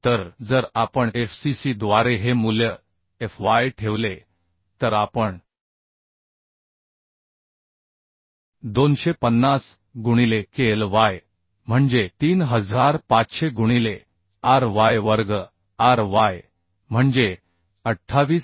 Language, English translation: Marathi, 34 Now lambda y we can find out as fy by fcc so if we put this value fy by fcc that we will get 250 into KLy is 3500 by ry square ry is 28